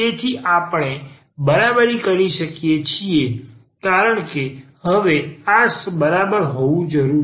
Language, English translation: Gujarati, So, we can equate because this must be equal now